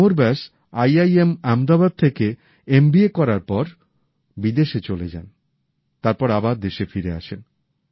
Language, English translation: Bengali, Amar Vyas after completing his MBA from IIM Ahmedabad went abroad and later returned